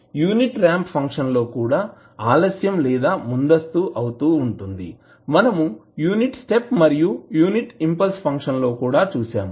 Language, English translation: Telugu, The unit ramp function maybe delayed or advanced as we saw in case of unit step and unit impulse also